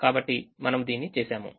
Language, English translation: Telugu, so we have done this